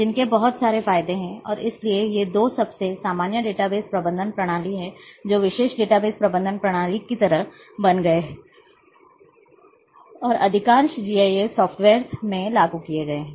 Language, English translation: Hindi, Which are having lot of advantages and therefore, these are the most two very common database management system which has become sort of special database management system and have been implemented in most of the GIS softwares